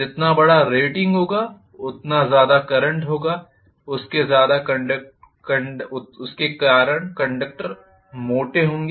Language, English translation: Hindi, The larger the rating the current carried will be larger because of which the conductors will be thicker